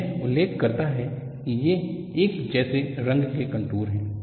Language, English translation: Hindi, So, it mentions that these are contours of constant color